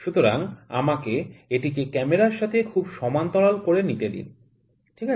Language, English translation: Bengali, So, let me make it very parallel to the camera, ok